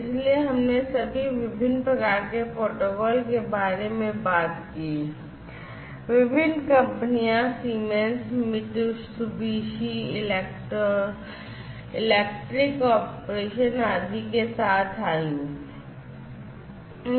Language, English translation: Hindi, So, here actually we are talking about all different types of protocols, different companies came up with Siemens, you know, Mitsubishi electric corporation etcetera